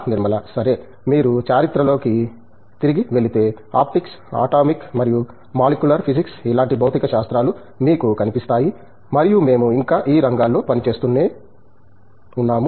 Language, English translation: Telugu, Okay so, if you go back in history you will find physics starting from say, Optics, Atomic and Molecular physics and we still continue to work in these areas